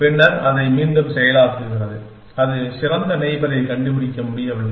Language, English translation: Tamil, And then, repeats it process still it cannot find the better neighbor